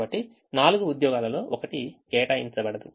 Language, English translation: Telugu, so one out of the four is not going to be assigned